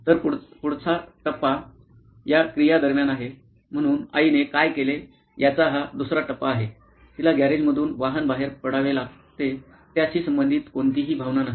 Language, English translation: Marathi, So, the next stage is during this activity so this is the second stage of what the mom does is first she gets the vehicle out of the garage, no emotions associated with that